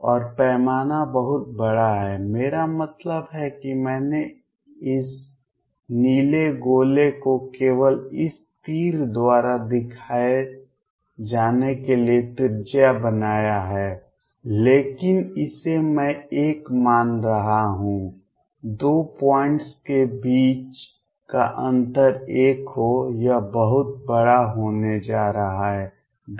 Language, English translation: Hindi, And the scale is huge I mean I made this blue sphere to be radius only to shown by this arrow, but consider this I am considering to be 1, difference between 2 points to be 1, this is going to be huge 10 raise to 20 3